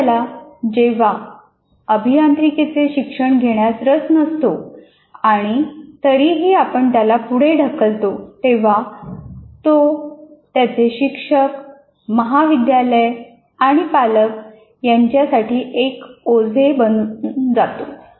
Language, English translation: Marathi, So when somebody is not interested in engineering and you push through him, he becomes a liability, both to the teacher and the college and to the parents